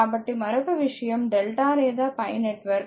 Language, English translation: Telugu, So, another thing is the delta or pi network right